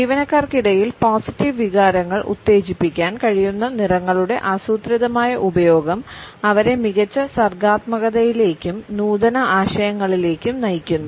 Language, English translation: Malayalam, A well planned use of colors which are able to stimulate positive feelings amongst the employees would lead them to better creativity and innovative ideas